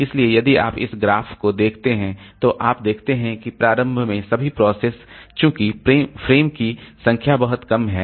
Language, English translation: Hindi, So, if you look into this graph, then you see that initially all the processes in number of frames allocated is very low